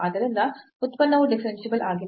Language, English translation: Kannada, And hence, the function is not differentiable